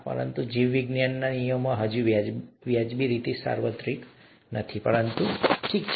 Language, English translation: Gujarati, But in biology, the rules are not yet reasonably universal, okay